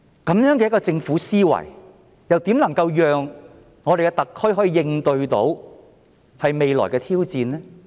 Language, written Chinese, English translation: Cantonese, 以政府這樣的思維，如何能夠讓特區應對未來的挑戰呢？, With this way of thinking how can the Government cope with future challenges?